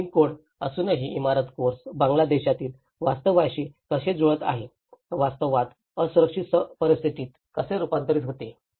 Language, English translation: Marathi, And how the building course doesnít match with the reality in Bangladesh despite of having the building codes, how the reality turns into a vulnerable situations